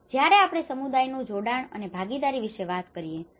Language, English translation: Gujarati, And when we talk about the community engagement and the participation